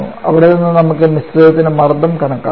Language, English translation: Malayalam, We can calculate the pressure of the mixture for this